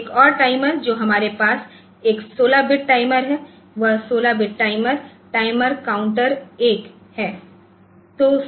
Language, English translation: Hindi, Another timer that we have is a 16 bit timer; those 16 bit timer is that a timer counter 1